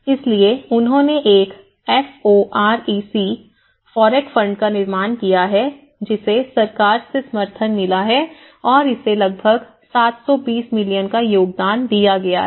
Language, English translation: Hindi, So, what they did was the society there is a FOREC fund which has been support with the support from the government it has been formulated it’s about it contributed about 720 million